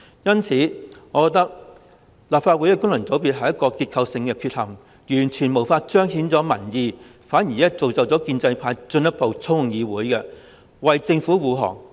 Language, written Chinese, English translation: Cantonese, 因此，我認為立法會功能界別是一個結構性的缺陷，完全無法彰顯民意，反而造就建制派進一步操控議會，為政府護航。, Therefore I consider FCs in the Legislative Council a structural defect which totally fails to manifest public opinion and facilitates the pro - establishment camps further manipulation of the legislature to support the Government